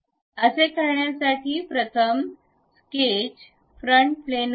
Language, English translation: Marathi, So, to do that, the first one is go to sketch, frontal plane